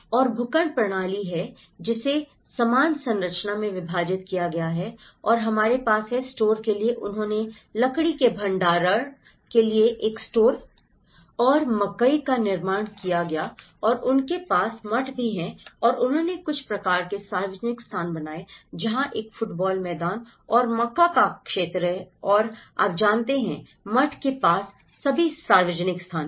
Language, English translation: Hindi, And is the plot system which has been subdivided into equal composition and we have the store for, they built a store and corn for storing the wood and they also have the monastery and they built some kind of public spaces where there has a football ground and the maize field and you know, there is all the public space access near to the monastery